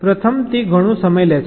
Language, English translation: Gujarati, firstly, it takes lot of time